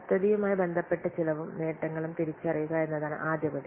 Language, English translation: Malayalam, First we have to identify the cost and benefits pertaining to the project